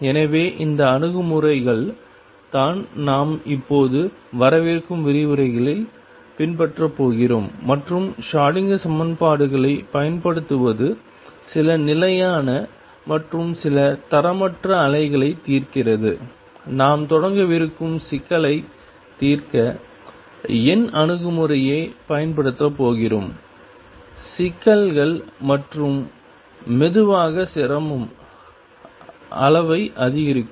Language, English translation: Tamil, So, this is the approaches that we are going to now follow in the coming lectures and apply Schrodinger equations solve problems some standard and some non standard wave, we are going to use numerical approach to solve the problem we are going to start with very simple problems and slowly increase the difficulty level